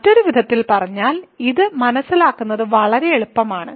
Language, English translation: Malayalam, So, in other words; so it is actually very easy to understand this